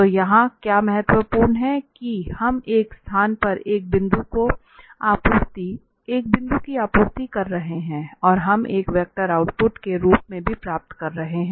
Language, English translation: Hindi, So, what is important here that we are a supplying a point here in a space and we are also getting as a output a vector So, this is what we call in vector setting as a vector field